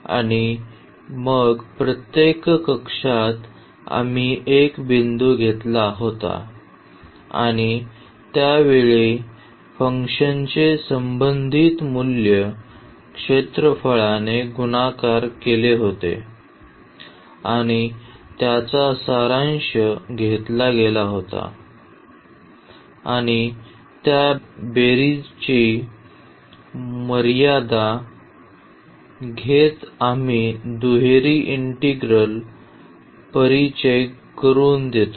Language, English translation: Marathi, And, then in each cell we had taken a point and the corresponding value of the function at that point was multiplied by the area and that was summed up and taking the limit of that sum we introduce the double integral